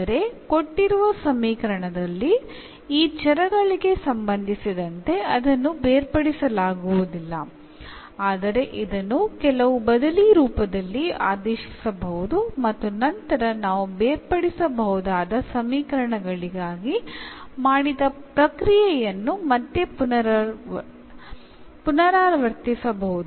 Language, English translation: Kannada, So, as such in the given in the given equation may not be separated with respect to these variables, but it can be made by some substitution to separable form and then we can again repeat the process which we have done for the separable equations